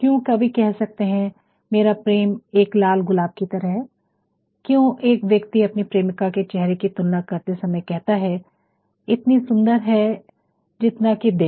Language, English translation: Hindi, Why could a poet say my love is like a red red rose, why could somebody say while comparing the face of ones beloved why could somebody say our seas as beautiful as they